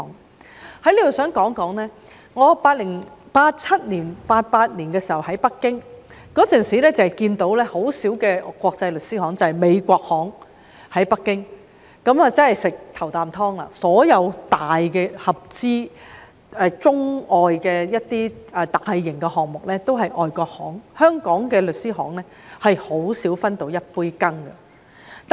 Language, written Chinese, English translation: Cantonese, 我想在此說說，我1987年、1988年時在北京，當時看不到多少間國際律師行，北京只有美國律師行，他們吃了"頭啖湯"，所有中外合資的大型項目也是由外國律師行負責，香港律師行很少分到一杯羹。, I would like to say here that when in Beijing around 1987 and 1988 I saw very few international law firms . There were only American law firms who had taken advantage of the early opportunities . All major Sino - foreign joint venture projects were handled by foreign law firms